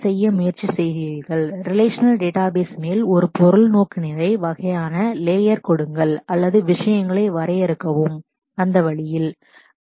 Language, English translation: Tamil, So, there has been attempts to make give a object orientation kind of layer on top of relational databases or define things in that way